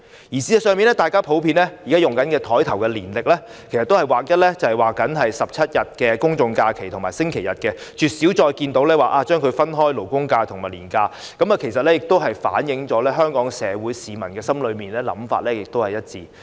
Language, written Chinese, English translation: Cantonese, 事實上，現時大家普遍使用的座檯年曆上，都會劃一標示17天公眾假期和星期日，絕少分開標示勞工假期或銀行假期，這亦反映了香港社會上市民的想法是一致的。, In fact 17 days of general holidays and Sundays will be marked on the desk calendars that are generally used and labour holidays or bank holidays are rarely marked . This also shows that members of the public are generally on the same page